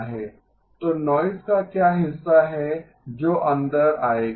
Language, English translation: Hindi, So what is the portion of the noise that will come in